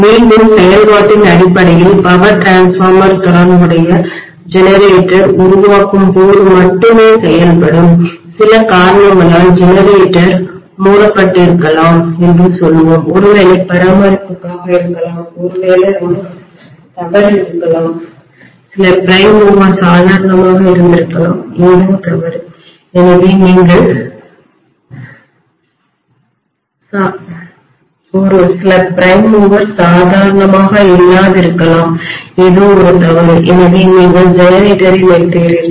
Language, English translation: Tamil, Again in terms of functionality the power transformers will be functioning only when the corresponding generator is generating, let us say the generator has been shut down for some reason maybe for maintenance, maybe there is a fault, maybe some prime mover has gone crazy, something is wrong, so you are shutting the generator